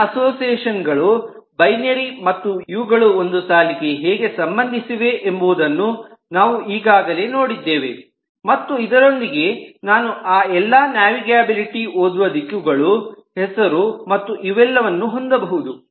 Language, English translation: Kannada, most associations are binary and we have already seen how these are related to one line and along with that i could have all those navigability, reading directions, name and all of this